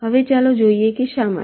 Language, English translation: Gujarati, now lets see why